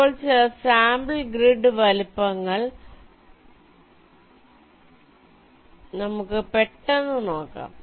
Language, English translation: Malayalam, now lets take a quick look at some sample grid sizes